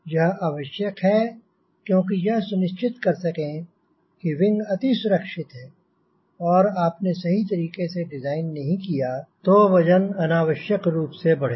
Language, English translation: Hindi, this is extremely important because you have to ensure that wing is safe enough, right and if you are not properly designed, the weight unnecessarily will increase